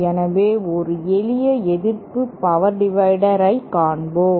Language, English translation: Tamil, So, let us see a simple resistive power divider